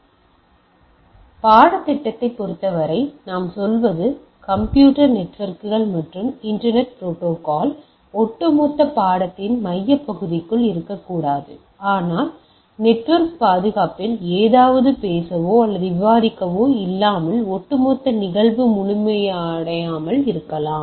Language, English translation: Tamil, So, to say we as per as the course is concerned, it may not be within the very core of the overall course of computer networks and internet protocol, and but what we thought that without talking or discussing something on network security, the overall phenomenon may not be complete, alright